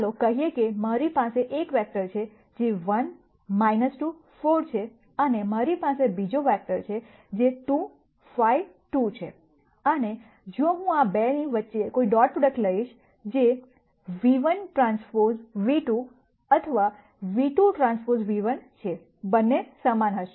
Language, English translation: Gujarati, Let us say, I have one vector which is 1 minus 2 4 and I have the other vector which is 2 5 2 and if I take a dot product between these 2, which is v 1 transpose v 2 or v 2 transpose v 1, both will be the same